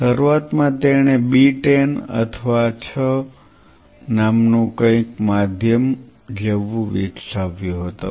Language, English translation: Gujarati, Initially he developed something called B10 or 6 something like a medium